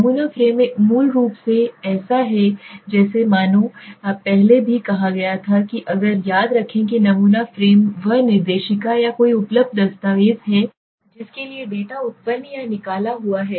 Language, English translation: Hindi, The sampling frame is basically as I earlier also stated if I remember sampling frame is that directory or any available document for which the data is generated or extracted right